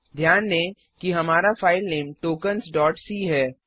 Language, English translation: Hindi, Note that our file name is Tokens .c